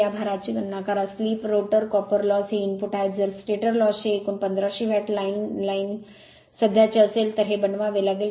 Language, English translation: Marathi, Calculate for this load, the slip, the rotor copper loss, the you are the input if the stator losses total is 1500 watt the line current right, this you have to make it